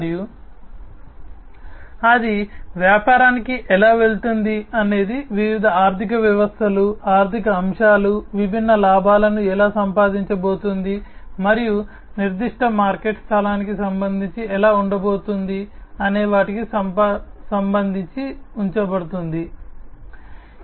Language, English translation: Telugu, And how it is going to the business is going to be positioned with respect to the different finances, the financial aspects, how it is going to earn the different profits, and how it is going to be positioned with respect to the specific marketplace that it is going to cater to